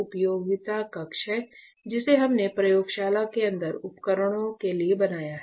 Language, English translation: Hindi, So, that is the utility room that we have created for the equipment inside the lab